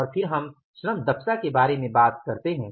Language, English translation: Hindi, And then we talk about the labor efficiency variance